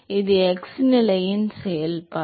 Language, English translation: Tamil, This is the function of x position